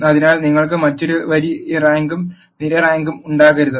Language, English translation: Malayalam, So, you cannot have a different row rank and column rank